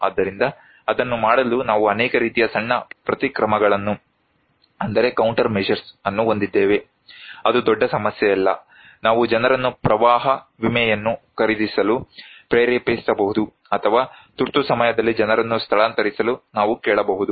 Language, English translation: Kannada, So, in order to do that, we have many kind of small countermeasures, not a very big issue like we can promote, we can motivate people to buy flood insurance or we can ask people to evacuate during emergency